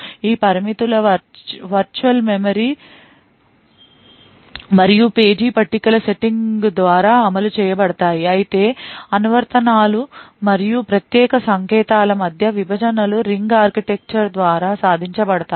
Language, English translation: Telugu, These restrictions are enforced by the virtual memory and page tables setting while the partitions between the applications and privileged codes are achieved by the ring architecture